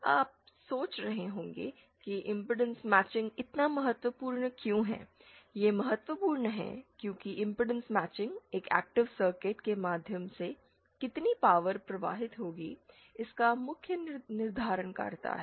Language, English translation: Hindi, You may be wondering why impedance matching is so important, it is important because impedance matching is the main determiner of how much power is being, how much power will flow through an active device